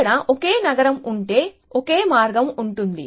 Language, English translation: Telugu, So, if you if there only one city, there is only one path